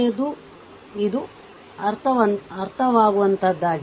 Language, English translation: Kannada, So, it is understandable to, right